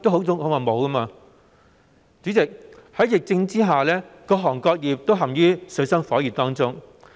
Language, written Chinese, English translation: Cantonese, 主席，在疫情下，各行各業均陷於水深火熱中。, President under the epidemic different businesses and trades are all in the abyss of suffering